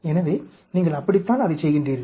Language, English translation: Tamil, So, that is how you go about doing that